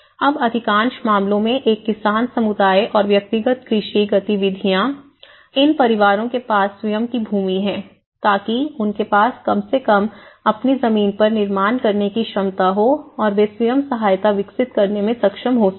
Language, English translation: Hindi, Now, in most of the cases being a farmer’s community and most of these individual agricultural activities, most of these families own land so that at least they have a capacity to build on their own piece of land and they could able to develop self help construction for the following reasons